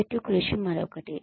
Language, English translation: Telugu, Teamwork is another one